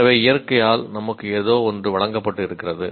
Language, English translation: Tamil, So there is something that is given to us by nature